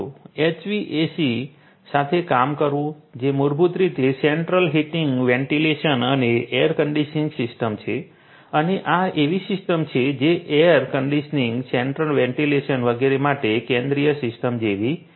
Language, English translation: Gujarati, Dealing with the HVACs which are basically the Central Heating Ventilation and Air Conditioning systems and these are the systems which are like you know central systems for air conditioning, central ventilation and so on